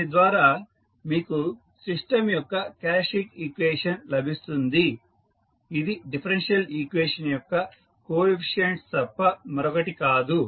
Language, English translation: Telugu, So, with this you get the characteristic equation of the system which is nothing but the coefficients of the differential equation